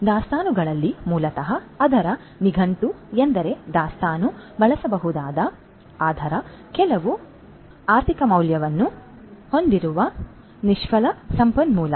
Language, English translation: Kannada, So, in inventory basically the dictionary meaning of it is that inventory is a usable, but idle resource having some economic value